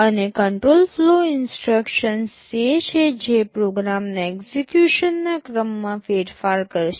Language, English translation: Gujarati, And, control flow instructions are those that will alter the sequence of execution of a program